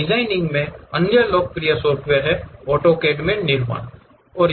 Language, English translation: Hindi, The other popular software in designing is in manufacturing AutoCAD